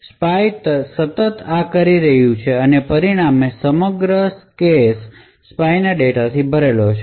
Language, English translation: Gujarati, So, spy is continuously doing this and as a result the entire cache is filled with the spy data